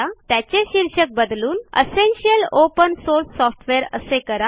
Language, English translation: Marathi, Change the title to Essential Open Source Software